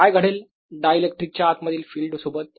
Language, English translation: Marathi, what happens to the field inside the dielectric